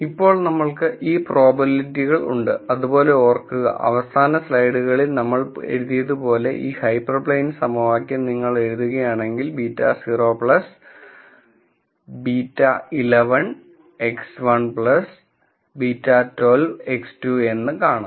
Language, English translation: Malayalam, Now we have these probabilities and remember, if you were to write this hyper plane equation as the way we wrote in the last few slides beta naught plus beta 1 1 X 1 plus beta 1 2 X 2